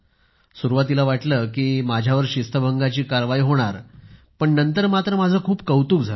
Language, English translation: Marathi, So, at first it seemed that there would be some disciplinary action against me, but later I garnered a lot of praise